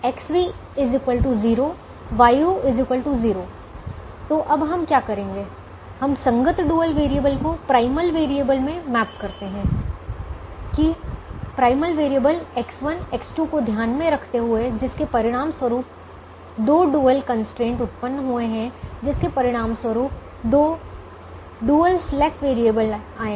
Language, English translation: Hindi, so what we do now is we just map the corresponding dual variable to the primal variable, remembering that the two primal variables, x one, x two, resulted in two dual constraints which resulted in two dual slack variables